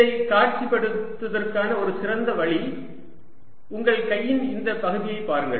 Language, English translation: Tamil, a one way of good way of visualizing it: look at this part of your hand